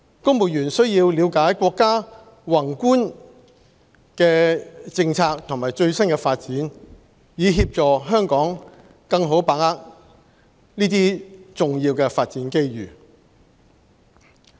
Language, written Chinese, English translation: Cantonese, 公務員須要了解國家的宏觀政策和最新發展，以協助香港更好的把握這些重要發展機遇。, Civil servants should understand the Countrys macro policies as well as its latest developments so as to help Hong Kong better seize these important development opportunities